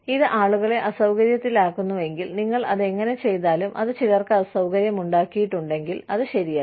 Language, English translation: Malayalam, If it inconveniences people, if how you do it, has inconvenienced some people, then it is not right